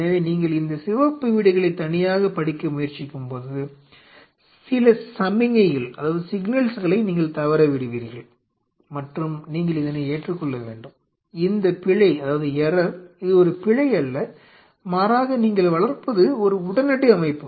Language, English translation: Tamil, So, when you are trying to study these red houses in isolation, you will be missing there will be signals which you are missing and you have to accept, this error it is not an error rather it is an acute system you are growing